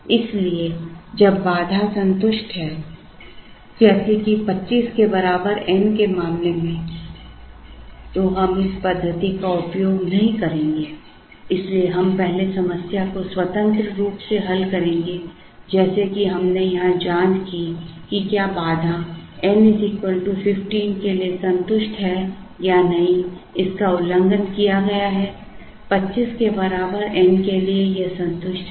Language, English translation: Hindi, So, when the constraint is satisfied as in the case of n equal to 25, we will not use this method so we will first solve the problem independently like we did here check whether the constraint is satisfied for N equal to 15 it is violated; for N equal to 25 it is satisfied